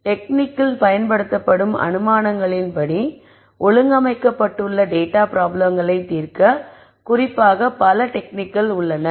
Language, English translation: Tamil, There are many techniques which are ne tuned and developed particularly to solve problems where data is organized according to the assumptions that are used in the technique